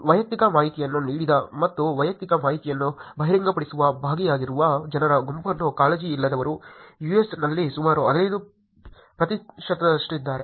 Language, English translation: Kannada, Unconcerned are the set of people who gave away personal information and be part of revealing personal information is about 15 percent in the US